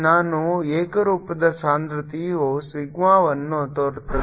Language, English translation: Kannada, i will be the inform density sigma